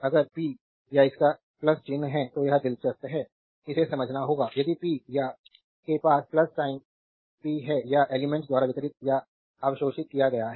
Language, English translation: Hindi, If the power has a plus sign this is this is interesting this you have to understand; if the power has a plus sign power is been delivered to or absorbed by the element